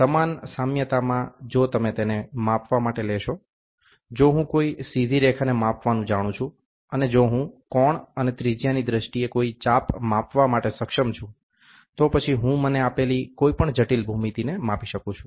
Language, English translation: Gujarati, In the same analogy, if you take it for measurements, if I know to measure a straight line, and if I am able to measure an arc in terms of angle and radius, then I can measure any complicated geometries given to me